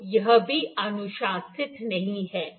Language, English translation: Hindi, So, that is also not recommended